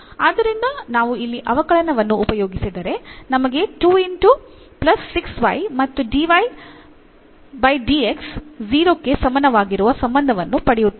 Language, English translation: Kannada, So, if we differentiate for example, this what relation we are getting 2 x plus 6 y and dy over dx is equal to 0